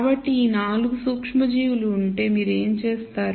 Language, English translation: Telugu, So, if there are these 4 microorganisms what you would do is